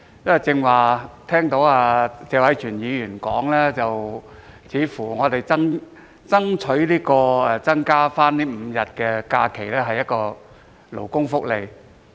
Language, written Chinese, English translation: Cantonese, 我剛才聽到謝偉銓議員表示，我們爭取新增5日假期是勞工福利。, I have just heard Mr Tony TSE say that the five additional holidays we are striving for is labour welfare